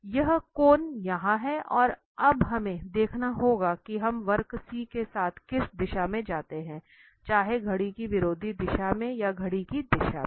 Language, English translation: Hindi, Well, so this is the cone here and now we have to see the which direction we go with the with the curve C whether anti clockwise or the clockwise direction